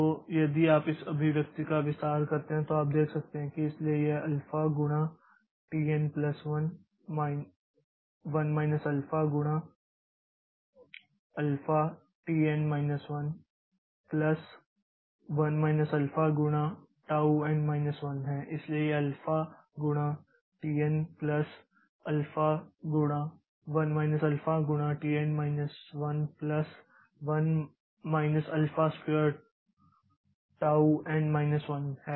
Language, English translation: Hindi, So, if you expand this expression then if you expand this expression then you can see so this is alpha times t n plus 1 minus alpha into alpha time t n minus 1 plus 1 minus alpha times tau n minus 1 so this is alpha times t n plus alpha into 1 minus alpha times t n minus 1 plus 1 minus alpha square into tau n minus 1